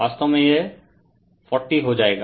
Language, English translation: Hindi, So, this is 40 right